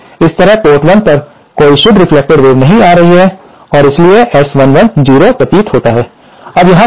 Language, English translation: Hindi, So, this way, at port 1, there is no net reflected wave coming and hence S 11 appears to be 0